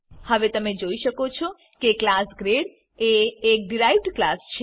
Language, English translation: Gujarati, Now you can see that class grade is the derived class